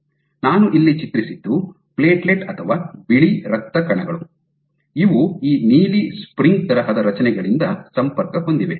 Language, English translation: Kannada, So, what I have depicted here is platelet or white blood cells, which are connected by these blue spring like structures